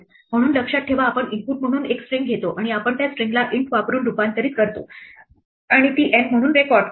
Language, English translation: Marathi, So, remember we take the input it will be a string we convert it using int and we record this as N